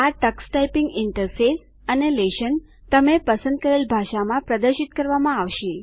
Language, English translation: Gujarati, The Tux Typing Interface and lessons will be displayed in the language you select